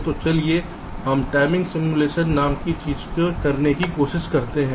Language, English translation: Hindi, so let us try out something called timing simulation